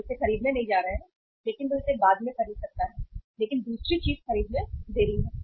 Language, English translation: Hindi, We are not going to buy it but he may buy it later on but the second thing is delay purchases